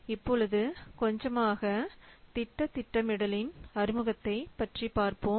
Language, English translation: Tamil, Let's a little bit see about the introduction to project planning